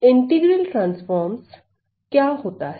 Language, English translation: Hindi, So, what is integral transforms